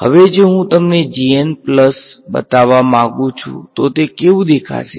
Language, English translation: Gujarati, Now if I want to show you g n plus one what will it look like